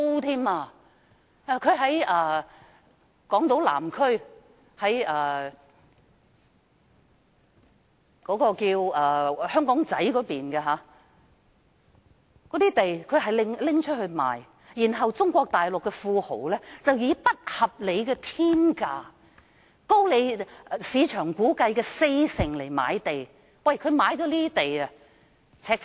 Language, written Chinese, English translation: Cantonese, 政府出售港島南區香港仔一帶的一幅土地，由中國大陸的富豪以不合理的"天價"買入，估計高出市價四成，我們的土地被"赤化"。, A land lot in the Aberdeen area on Island South put up for sale by the Government was bought by a tycoon from Mainland China at an unreasonably astronomical price estimated to be 40 % higher than the market price . Our land has been Mainlandized